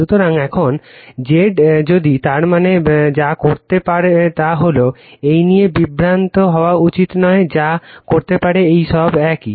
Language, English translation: Bengali, So, now, Z star if, that means, what you can do is that, you should not be confused with this what you can do is this all are same